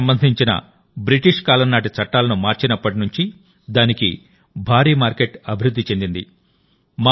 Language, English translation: Telugu, Ever since the country changed the Britishera laws related to bamboo, a huge market has developed for it